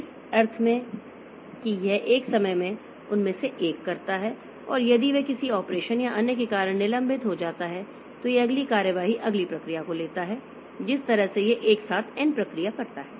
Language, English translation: Hindi, So, the CPU it may be executing n different processes simultaneously in the sense that it does one of them at a time and if that gets suspended due to some operation or the other it takes up the next operation next process that way it does n processes at a time simultaneously